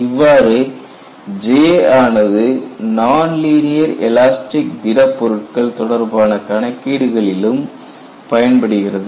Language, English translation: Tamil, So, the advantage of J is, it is applicable for non linear elastic solids too